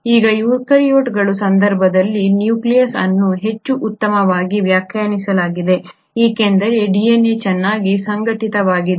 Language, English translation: Kannada, Now the nucleus in case of eukaryotes is much more well defined because the DNA is very well organised